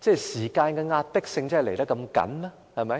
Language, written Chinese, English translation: Cantonese, 時間上真的如此緊迫嗎？, Is it really so time - pressing?